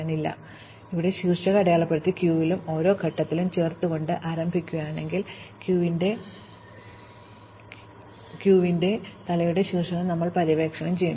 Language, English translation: Malayalam, So, we begin by marking the source vertex and adding it to the queue and at each stage, we will explore the vertex at the head of the queue